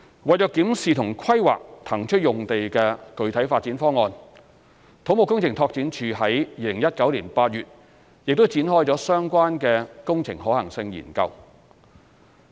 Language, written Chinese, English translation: Cantonese, 為檢視和規劃騰出用地的具體發展方案，土木工程拓展署在2019年8月展開相關的工程可行性研究。, To study and formulate concrete development plan for the vacated site the Civil Engineering and Development Department CEDD commissioned the relevant feasibility study the Study in August 2019